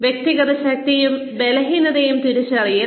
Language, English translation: Malayalam, Identifying individual strengths and weaknesses